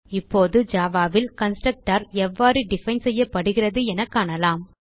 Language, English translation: Tamil, Let us now see how constructor is defined in java